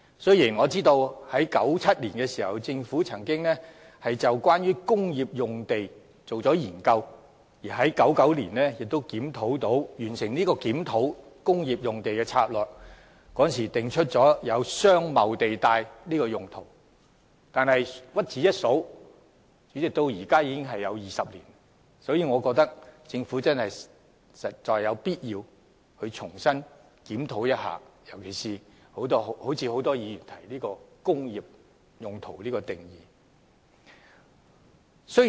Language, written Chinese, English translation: Cantonese, 雖然政府曾在1997年進行有關工業用地的研究，並於1999年完成檢討工業用地策略，訂出"商貿地帶"用途，但屈指一算，檢討至今已有20年之久，我認為政府實有必要重新檢討，特別是檢討很多議員提到的"工業"定義。, The Government conducted a study on industrial land in 1997 and upon the completion of the review of industrial land use strategy in 1999 it introduced business zone . It has been 20 years since the review . I think the Government should conduct another review particularly on the definition of industry as mentioned by many Members